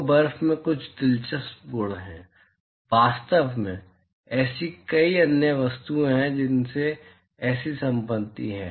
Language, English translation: Hindi, So, the snow has some interesting property; in fact, there are several other objects which has such property